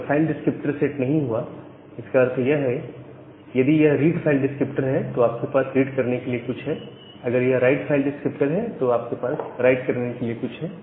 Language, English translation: Hindi, So, you can check whether a file descriptor has been set or not if the file descriptor has sat set; that means, you have something to read, if it is a read file descriptor or you have something to write if it is a write file descriptor